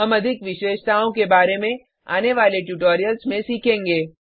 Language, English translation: Hindi, We shall look at more features, in subsequent tutorials